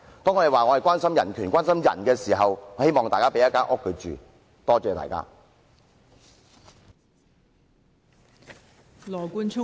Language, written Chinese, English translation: Cantonese, 當我們說關心人權，關心人時，我希望大家可以提供住所讓有需要人士居住。, When we say that we care about human rights and human beings I hope that housing units should be provided to the needy persons